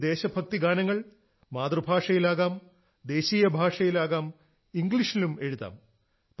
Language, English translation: Malayalam, These patriotic songs can be in the mother tongue, can be in national language, and can be written in English too